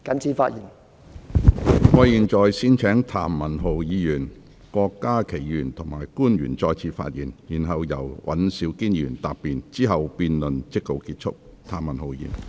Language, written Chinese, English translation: Cantonese, 如果沒有，我現在先請譚文豪議員、郭家麒議員及官員再次發言，然後由尹兆堅議員答辯，之後辯論即告結束。, If not I now first call upon Mr Jeremy TAM Dr KWOK Ka - ki and the public officer to speak again and afterwards Mr Andrew WAN will reply . Then the debate will come to a close